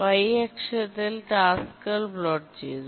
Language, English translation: Malayalam, On the y axis we have plotted the tasks